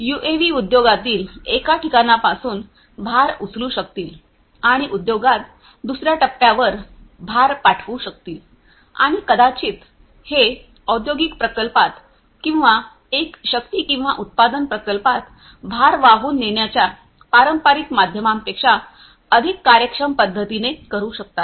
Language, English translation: Marathi, UAVs could lift the load from one point in the industry and could send and could you know release the load to another point in the industry, and maybe it can do that in a much more efficient manner than the conventional means of transporting load in an industrial plant or a power or a manufacturing plant